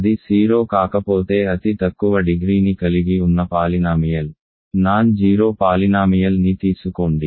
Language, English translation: Telugu, If it is not 0 take the polynomial, non zero polynomial which has the least degree, in other words